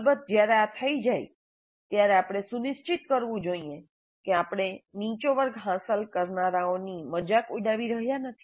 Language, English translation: Gujarati, Because when this is done, we should ensure that we are not ridiculing the low achievers